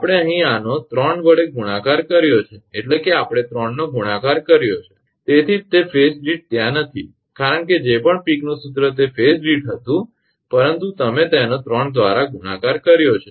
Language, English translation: Gujarati, We have multiplied this 1 by 3 here we have multiplied by 3 means that is why per phase is not there, because, whatever Peek's formula it was per phase, but you have multiplied it by 3